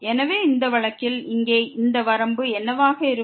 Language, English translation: Tamil, So, in this case what will be this limit here